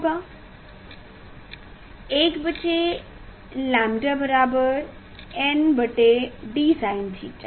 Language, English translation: Hindi, 1 by lambda equal to 1 by d n by sine theta